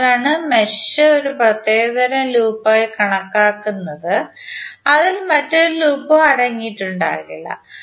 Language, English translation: Malayalam, So that is why mesh is considered to be a special kind of loop which does not contain any other loop within it